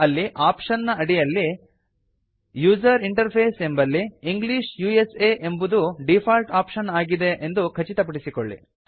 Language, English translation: Kannada, Under the option User interface,make sure that the default option is set as English USA